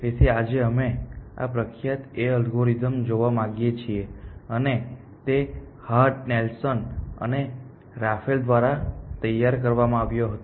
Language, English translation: Gujarati, So, today we want to look at this well known A star algorithm and this was devised by Hart, Nelson and Raphael essentially